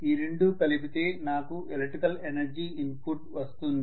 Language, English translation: Telugu, The two together actually I am getting the electrical energy input